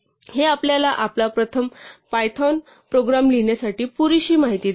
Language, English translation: Marathi, This already gives us enough information to write our first python program